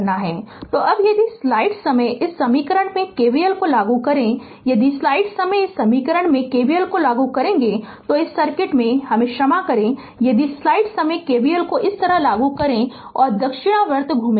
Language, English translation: Hindi, So, now, if you apply KVL in this equation, if you apply KVL in this equation sorry in this circuit if you apply KVL Like this and moving clockwise